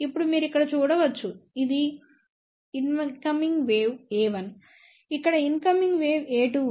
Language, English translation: Telugu, Now you can see here this is the incoming wave a 1; here is a incoming wave a 2